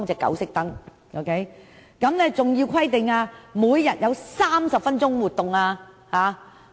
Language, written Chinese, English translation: Cantonese, 另外，狗隻每日必須有30分鐘的活動時間。, On the other hand dogs are required to exercise for at least 30 minutes per day